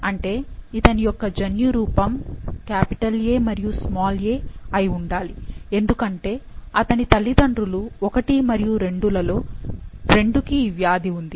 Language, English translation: Telugu, So he, the genotype for this person should be A and a, as his parents 1 and 2, out of the two, 2 has the disease